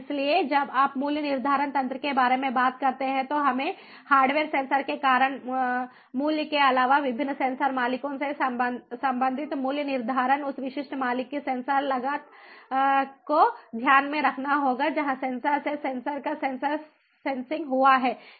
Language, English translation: Hindi, so when you talk about a pricing mechanism, we have to take into consideration the pricing due to the hardware cost belonging to different sensor owners, in addition to the sensor cost of the specific owner, from where the sensor sensing has taken place, of the sensor, from the sensor